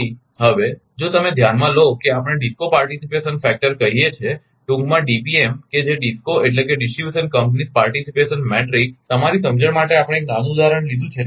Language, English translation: Gujarati, So, now ah now if you look into that we call DISCO participation matrix in short DPM that is DISCO means distribution companies participation matrix, for your understanding we have taken a small example